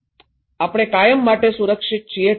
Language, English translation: Gujarati, We are safe forever, okay